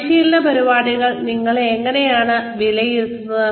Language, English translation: Malayalam, How do you evaluate, training programs